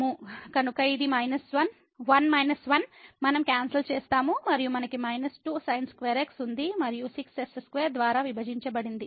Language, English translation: Telugu, So, this is 1 minus 1 we will get cancel and we have minus square and divided by square